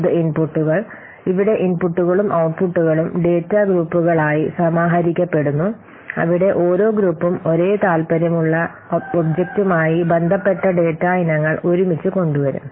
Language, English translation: Malayalam, It inputs here the inputs and outputs are aggregated into data groups where each group will bring together data items that relate to the same object of interest